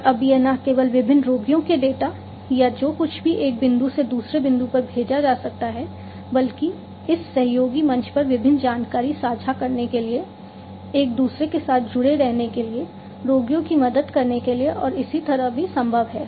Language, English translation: Hindi, And it is now possible not only to send the data of different patients or whatever from one point to another, but also to help the patients to stay interconnected with one another to share the different information over this collaborative platform and so on